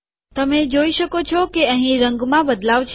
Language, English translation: Gujarati, You can see that there is a change of color here